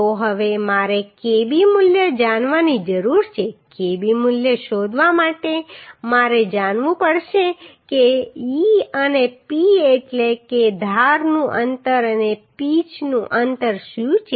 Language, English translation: Gujarati, So now I need to know kb value for finding kb value I have to know what is the e and p that means edge distance and pitch distance